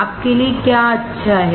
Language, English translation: Hindi, What is good for you